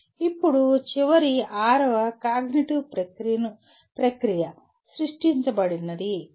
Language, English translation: Telugu, Now the final sixth cognitive process is create